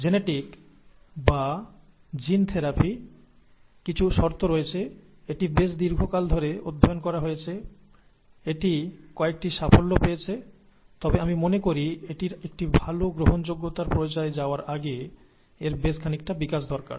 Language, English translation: Bengali, Genetic, or gene therapy has some promise, it is , it has been studied for quite a long time; it has had a few successes, but I think it needs quite a bit of development before it gets to a good acceptance stage